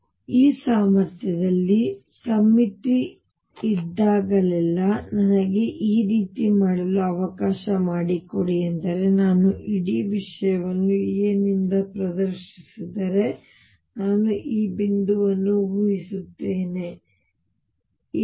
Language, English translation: Kannada, So, whenever there is a symmetry in this potential let me make it like this the symmetry is that if I displays the whole thing by a; that means, I shift suppose this point by a